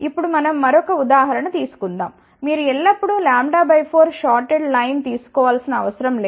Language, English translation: Telugu, Now, let us just take an another example, it is not always that you should take lambda by 4 shorted line